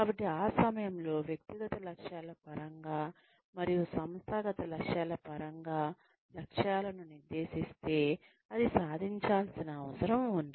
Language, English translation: Telugu, So, at that point of time, if the goals are set, in terms of personal goals, and in terms of the organizational goals, that need to be achieved